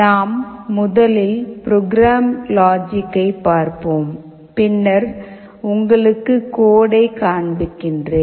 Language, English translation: Tamil, Let us look at the program logic first, then we shall be showing you the code